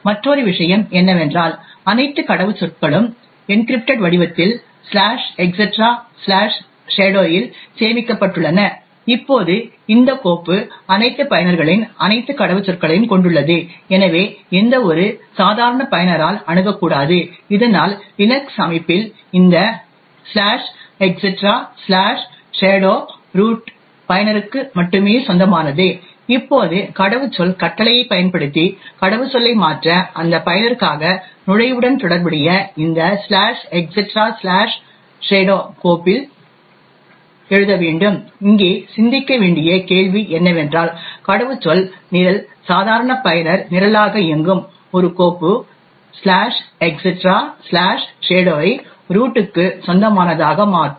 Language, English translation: Tamil, Another point is that all passwords are stored in the encrypted form in the file /etc/shadow, now this file comprises of all passwords of all users and therefore should not be accessed by any ordinary user, thus in the Linux system this /etc/shadow is only owned by the root user, now to modify a password using the password command, it would require to write to this /etc/shadow file corresponding to the entry for that user, question to think about over here is that how can a password program which runs as the normal user program modify a file /etc/shadow which is owned by the root